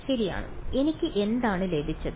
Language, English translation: Malayalam, Known right so, what have I got